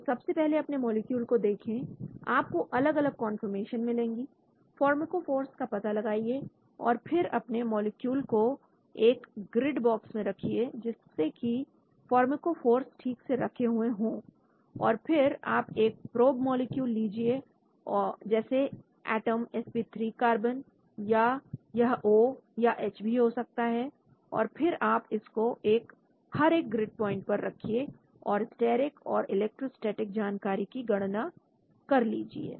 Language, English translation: Hindi, So first you lookat the molecules, you get different conformations, find out the pharmacophores and then you place the molecule in a grid box so that the pharmacophores are properly kept and then you take a probe molecule, like atom, sp3 carbon or it could be a O or it could H and then you place it at each grid point and calculate the steric and electrostatic information